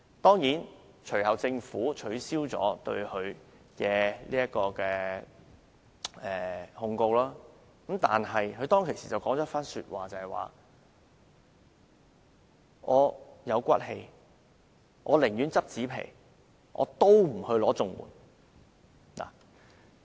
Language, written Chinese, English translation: Cantonese, 當然，政府最後撤銷了對她的檢控，但她當時說："我有骨氣，寧願撿紙皮，也不申請綜援。, The Government eventually withdrew the prosecution against her but at that time she said I have dignity . I would rather collect cardboards than apply for CSSA